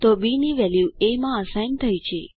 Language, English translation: Gujarati, So value of b is assigned to a